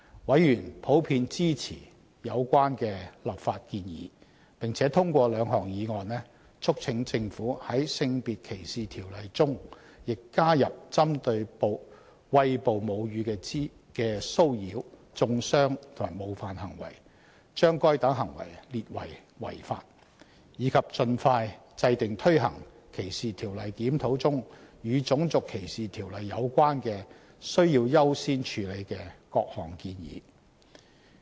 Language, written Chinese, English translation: Cantonese, 委員普遍支持有關的立法建議，並通過兩項議案，促請政府在《性別歧視條例》中亦加入針對餵哺母乳的騷擾、中傷及冒犯行為，將該等行為列為違法；以及盡快制訂推行歧視條例檢討中與《種族歧視條例》有關的需要優先處理的各項建議。, Members generally supported the legislative proposals where two motions were passed by the Panel one was to urge the Government to also cover the acts of harassment vilification and offensive behaviour towards breastfeeding in the Sex Discrimination Ordinance and to classify such acts as unlawful; and the other was to urge the Government to expeditiously implement the various prioritized recommendations under the DLR with respect to the Race Discrimination Ordinance